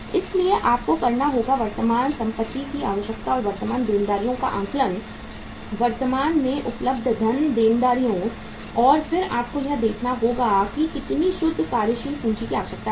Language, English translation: Hindi, So you will have to assess the current assets requirement and the current liabilities, funds available from the current liabilities and then you have to see that how much net working capital is required